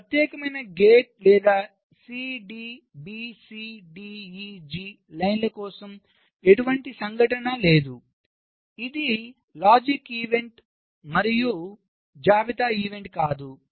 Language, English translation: Telugu, so you see, for this particular gate or the line c, d, b, c, d, e, g, there is no event in, either a logic event nor a list event